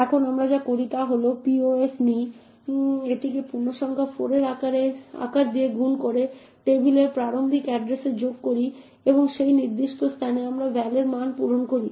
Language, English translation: Bengali, Now what we do is we take pos multiply it by size of integers 4 add that to the starting address of table and at that particular location we fill in the value of val